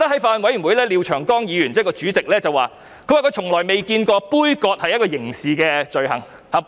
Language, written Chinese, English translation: Cantonese, 法案委員會主席廖長江議員曾說，他從來未見過杯葛是一項刑事罪行。, The Chairman of the Bills Committee Mr Martin LIAO indicated that he had never seen staging a boycott being regarded as a criminal offence